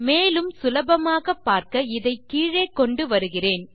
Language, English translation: Tamil, And just for easy viewing, I will bring this down